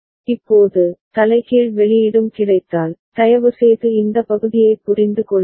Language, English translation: Tamil, Now, if inverted output is also available, please understand this part